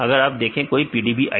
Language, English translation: Hindi, So, if you see or any PDB id